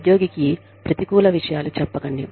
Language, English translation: Telugu, Do not say, negative things to the employee